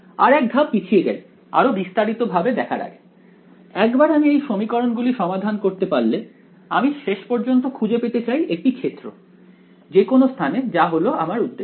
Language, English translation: Bengali, Let us take one more step back before we go into more details once we have solved these equations I want to find out finally, the field anywhere in space that is my objective